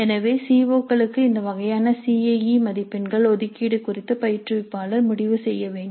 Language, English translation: Tamil, So the instructor has to decide on this kind of CIE marks allocation to COs